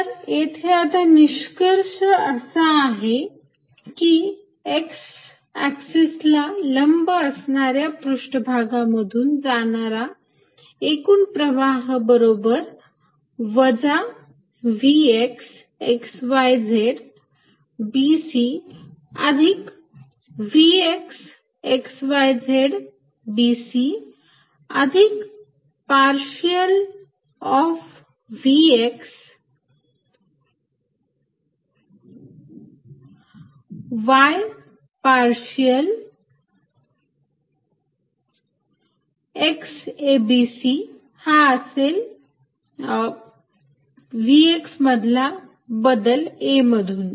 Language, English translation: Marathi, With the result that net flow through surfaces perpendicular to the x axis is going to be minus v x at x, y, z b c plus vx at x, y, z b c plus partial of v x y partial x a b and c, this is the change in v x through a, let me see if I do not that is early no I did not